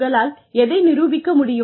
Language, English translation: Tamil, What you are able to demonstrate